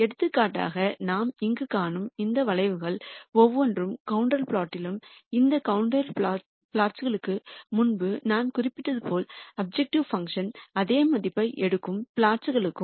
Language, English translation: Tamil, For example, each of these curves that we see here are contour plots and as I mentioned before these contour plots are plots where the objective function takes the same value